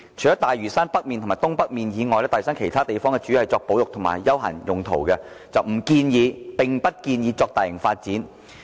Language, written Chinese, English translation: Cantonese, 除了大嶼山北面及東北面以外，大嶼山其他地方主要作保育和休閒等用途，並不建議作大型發展"。, Apart from North and Northeast Lantau the rest of Lantau Island is mainly used for conservation and recreation purposes and no large - scale development is recommended